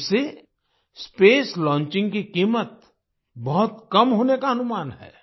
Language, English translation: Hindi, Through this, the cost of Space Launching is estimated to come down significantly